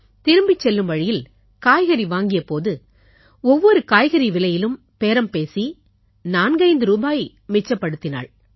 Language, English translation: Tamil, On the way back, we stopped to buy vegetables, and again she haggled with the vendors to save 45 rupees